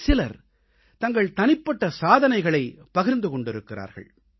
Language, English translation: Tamil, Some people even shared their personal achievements